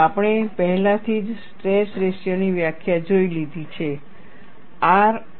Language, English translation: Gujarati, We have already looked at the definition of stress ratio R